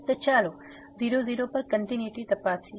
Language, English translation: Gujarati, So, let us check the continuity at